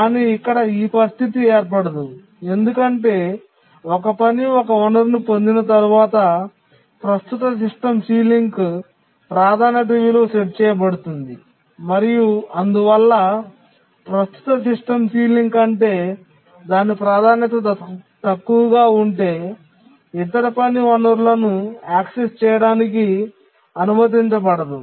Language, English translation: Telugu, But here that situation cannot occur because once a task acquires resource, the priority value is set to the current system ceiling and therefore the other task will not be allowed to access the resource if its priority is less than the current system ceiling